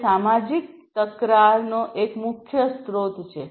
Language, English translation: Gujarati, It is one of the major sources of social conflicts